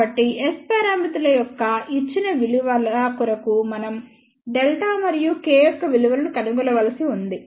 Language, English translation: Telugu, So, for the given values of S parameters what we need to do we need to find the value of delta and K